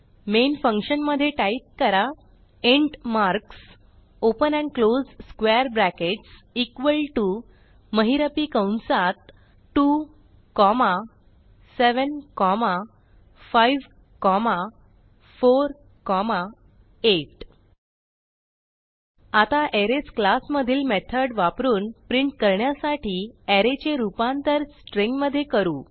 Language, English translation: Marathi, Inside the main function,type int marks open and close square brackets equal to within brackets 2, 7, 5, 4, 8 Now we shall use a method available in the Arrays class to get a string representation of the array and print it